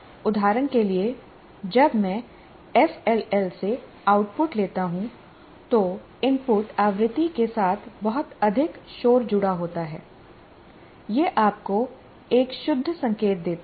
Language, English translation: Hindi, For example, if there is a lot of noise associated with the input frequency, when I take the output from an FLL, it gives you a pure signal